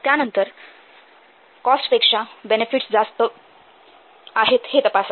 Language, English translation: Marathi, then check that benefits are greater than cost